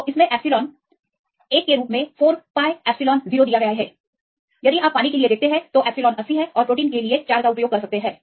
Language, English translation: Hindi, So, in these it given as 1 by 4 pi epsilon 0 or you can use the epsilon as 80 for the water and 4 for the protein